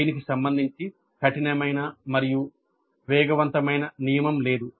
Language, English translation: Telugu, There is no hard and fast rule regarding it